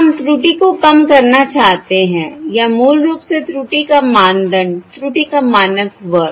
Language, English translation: Hindi, We want to minimize the error or basically the norm of the error, the norm square of the error